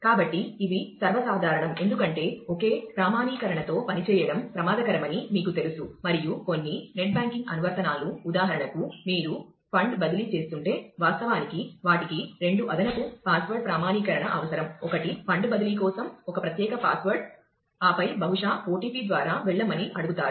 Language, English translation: Telugu, So, these are common because, you know it is risky to work with just a single authentication, and you will find that some net banking applications for example, if you are doing a fund transfer, then they actually require two additional password authentication, one is a special password for fund transfer, and then possibly we will be asked to go through an OTP